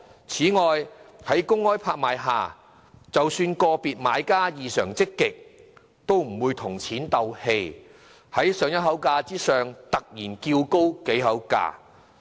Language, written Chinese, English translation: Cantonese, 此外，在公開拍賣下，即使個別買家異常積極，也不會跟錢過不去，在上一口價之上突然叫高幾口價。, Besides at a public land auction even though individual bidders are exceptionally aggressive they will not make things difficult for themselves by bidding suddenly on several extra increments instead of the next increment